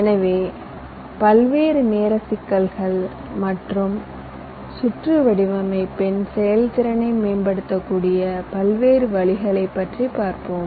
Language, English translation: Tamil, so here we shall be talking about the various timing issues and the different ways in which you can enhance the performance of a design of the circuit